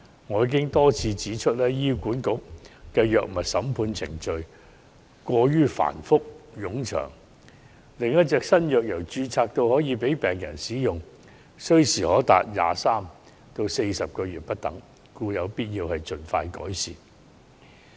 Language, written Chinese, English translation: Cantonese, 我已多次指出，醫院管理局的藥物審批程序過於繁複冗長，新藥由註冊到可供病人使用需時長達23個月至40個月不等，故有必要盡快改善。, I have pointed out repeatedly that the Hospital Authoritys HA drug approval process is too complex and time - consuming . For a new drug it takes as long as 23 to 40 months from registration to administration by patients . That is why the process needs to be improved expeditiously